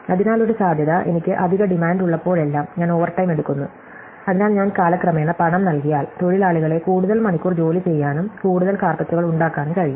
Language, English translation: Malayalam, So, one possibility is that whenever I have extra demand I pay overtime, so if I pay over time I get workers to work longer hours and make more carpets